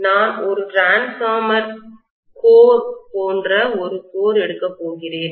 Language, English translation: Tamil, So I am going to take a core which is like a transformer core